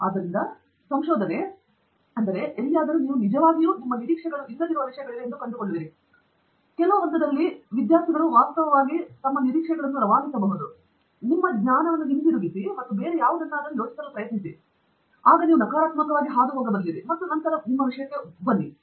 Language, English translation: Kannada, So, research, somewhere you will find that there are things which actually are not according to your expectations and that is where the what I found is, some of the students who can actually pass that, during those phases to fall back on routine, to fall back on your knowledge, and try to think of something different, and then pass through that negative and then come up again, so that’s the big spirit, that is where it is very, very challenging